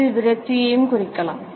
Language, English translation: Tamil, It can also indicate frustration